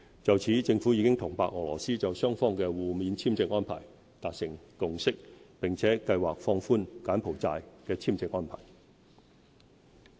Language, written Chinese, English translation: Cantonese, 就此，政府已與白俄羅斯就雙方的互免簽證安排達成共識，並計劃放寬柬埔寨簽證安排。, We have reached a consensus with Belarus on mutual visa exemption and are planning to relax visa requirements for Cambodian nationals